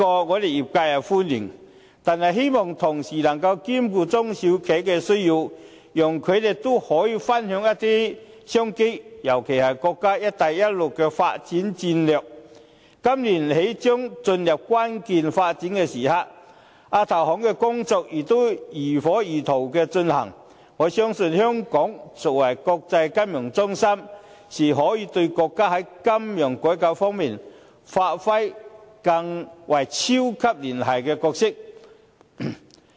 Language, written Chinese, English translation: Cantonese, 我們業界是歡迎這項措施的，但希望政府能夠同時兼顧中小企的需求，讓他們也可以分享一些商機，尤其是國家"一帶一路"的發展戰略，今年起將進入關鍵發展的時刻，亞投行的工作也如火如荼地進行，我相信香港作為國際金融中心，是可以對國家在金融改革方面發揮超級聯繫人的角色。, Our industry welcomes this initiative but we hope that the Government can also look after the needs of SMEs so that they can also enjoy some business opportunities particularly when the development strategy of the nations Belt and Road Initiative will enter into a critical moment of development this year while the work of the AIIB is also in full swing . I believe that as an international financial centre Hong Kong can properly play the role as the nations super - connector in financial reform